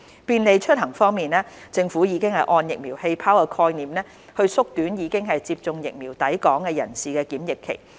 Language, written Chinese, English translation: Cantonese, 便利出行政府已按"疫苗氣泡"的概念縮短已接種疫苗的抵港人士的檢疫期。, Facilitating travelling The Government has shortened the quarantine period for fully vaccinated persons arriving at Hong Kong under the vaccine bubble concept